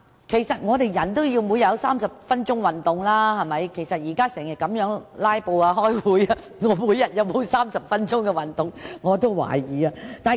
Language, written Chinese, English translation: Cantonese, 其實，人類每日也要進行30分鐘運動，現時會議經常"拉布"，我真的懷疑我每日有否30分鐘的運動時間。, In fact human beings should also exercise for 30 minutes every day . Nonetheless given the frequent filibustering in this Council I wonder if I can have 30 minutes to do exercise every day